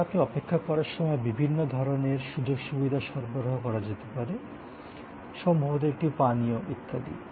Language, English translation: Bengali, But, while you are waiting, the different kind of amenities provided, maybe a welcome drink and so on